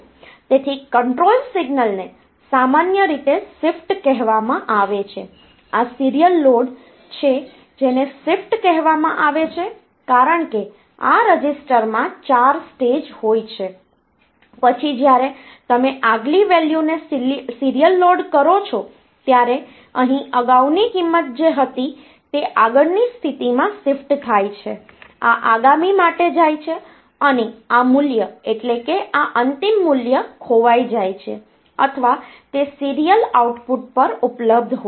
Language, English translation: Gujarati, So, the control signal is generally called shift this is the serial load it is called shift because, when you are if this is a register and it has got 4stages, then when you are loading the next value serially, here the previous value that was here get shifted in the next position, this goes for next and this value the final value gets lost or it is available at the serial output